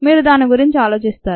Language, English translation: Telugu, you think about it